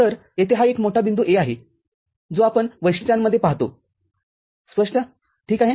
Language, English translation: Marathi, So, this is one big point A over here that we see in the characteristics clear, ok